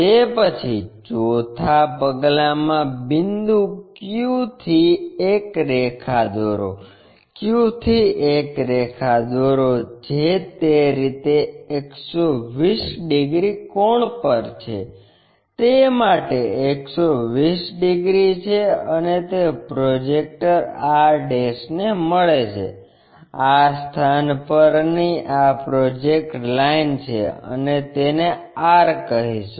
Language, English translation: Gujarati, After that the fourth one, draw a line from point q, from q draw a line which is at 120 degrees inclination angle in that way, 120 degrees for that and it meets the projector r', this is the projector line at this location and call r